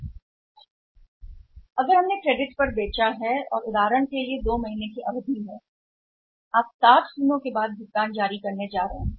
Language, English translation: Hindi, If we are not we have sold on the credit and you period is for example 2 months we are going to release the payment after 60 days